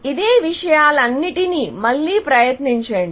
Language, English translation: Telugu, Then, you try all these same things again